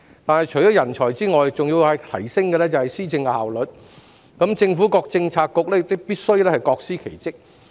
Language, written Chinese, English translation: Cantonese, 但除了人才外，還要提升施政效率，政府各政策局亦必須各司其職。, But talents aside it is also necessary to enhance efficiency in policy implementation and essential for the various bureaux in the Government to play their part